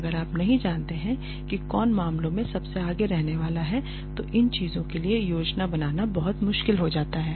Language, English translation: Hindi, If you do not know who is going to be at the helm of affairs then it becomes very difficult to plan for these things